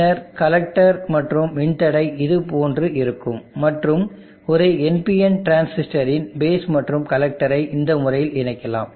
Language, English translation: Tamil, And then connector register like this and then that to the connector of a NPN transistor, and I will have the base of this NPN transistor connected in this fashion